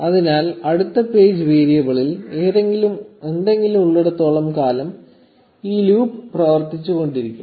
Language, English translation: Malayalam, So, this loop will keep running as long as the next page variable has something in it, meaning as long as it is not blank or null